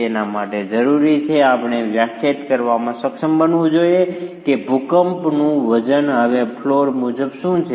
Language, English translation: Gujarati, It requires us to be able to define what is the seismic weight now floor wise